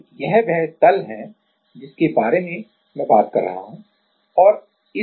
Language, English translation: Hindi, So, this is the plane I am talking about and on this plane these are the 4 atoms